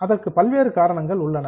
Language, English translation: Tamil, There are variety of reasons